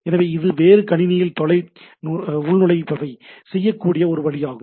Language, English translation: Tamil, So, it is a way that I can do a remote login to another system, right